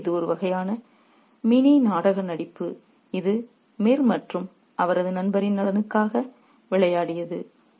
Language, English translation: Tamil, So, it's a kind of a mini play acting that has been played out for the benefit of Mir and his friend